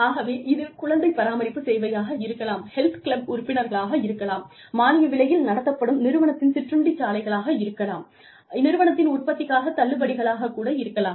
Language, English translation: Tamil, So, these services, could be childcare, could be health club memberships, could be subsidized company cafeterias, could be discounts on company products, etcetera